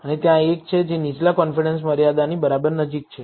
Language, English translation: Gujarati, And there is one, which is exactly almost close to the lower confidence limit